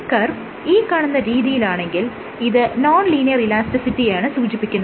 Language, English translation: Malayalam, The other case is this curve which gives you a non linear elastic behaviour